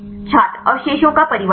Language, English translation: Hindi, Change of residues